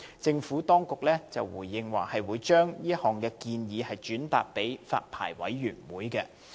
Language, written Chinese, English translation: Cantonese, 政府當局在回應時表示，會把這些建議轉達發牌委員會。, In response the Administration has advised that the suggestions would be relayed to the Licensing Board